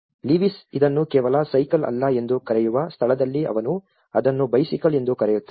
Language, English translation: Kannada, It is where the Lewis calls it is not just a cycle he calls it is a bicycle